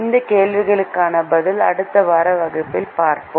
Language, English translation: Tamil, the answer to this question we will see in the next class